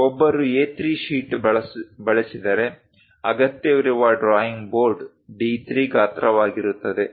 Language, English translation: Kannada, If one is using A3 sheet, then the drawing board required is D3 size